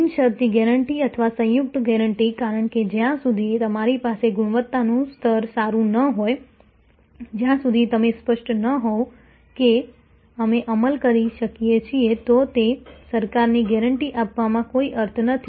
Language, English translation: Gujarati, Unconditional guarantee or composite guarantee, because unless you have good quality level, unless you are very clear that we able to executed then there is no point in given that kind of guarantee